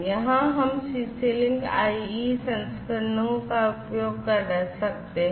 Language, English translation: Hindi, So, here we could have the CC link IE version being used